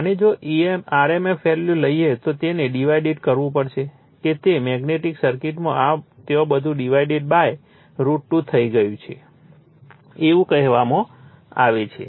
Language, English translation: Gujarati, And if you take the rmf value we have to divide it what you call that your in the that your what you call in that magnetic circuit the divided / root 2 everything has been done there right